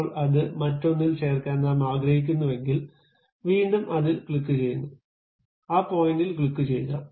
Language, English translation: Malayalam, Now, I would like to join that one with other one, again I click that one, click that point